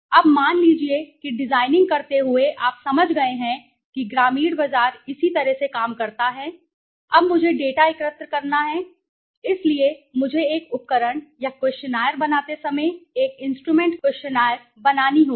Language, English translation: Hindi, Now, while designing suppose you have understood that rural markets this is how it functions now I have to collect the data so I have to make an instrument questionnaire while making an instrument or the questionnaire